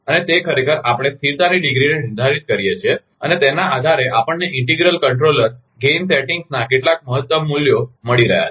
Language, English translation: Gujarati, And that is actually, we define degree of civility and based on that we are getting some optimum values of integral controller gain settings